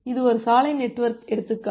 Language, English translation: Tamil, So, this is an example road network